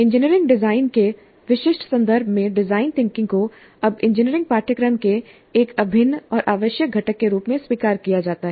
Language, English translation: Hindi, Design thinking in the specific context of engineering design is now accepted as an integral and necessary component of engineering curricula